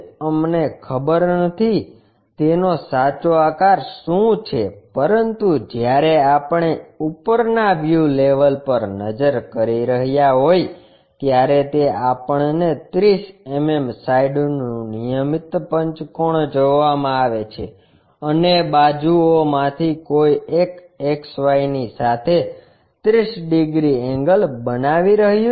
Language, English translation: Gujarati, What is the true shape we do not know, but when we are looking at top view level, it is giving us a regular pentagon of 30 mm side and one of the side is making 30 degrees angle to XY